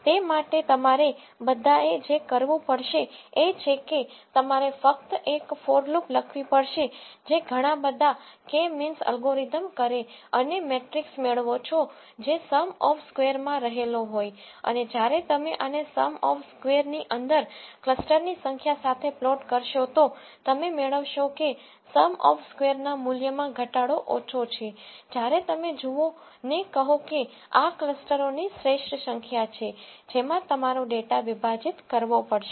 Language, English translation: Gujarati, For that all you need to do is you have to write one for loop which does lot of k means algorithms and get the metric which is within sum of squares and when you plot this within sum of squares with the number of clusters, you will find out after certain number of clusters the decrease in this within sum of squares value is low where you say look this is the optimal number of clusters into which your data has to be divided